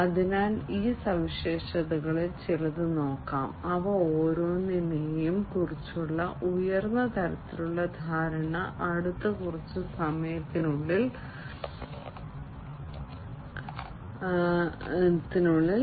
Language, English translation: Malayalam, So, let us look at some of these features, the high level understanding about each of these, in the next little while